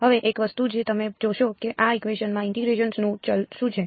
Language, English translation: Gujarati, Now, one thing that you will notice is in these equations what is the variable of integration